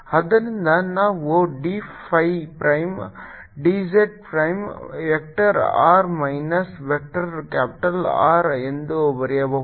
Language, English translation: Kannada, so we we can write d phi prime, d j prime, vector r minus vector capital r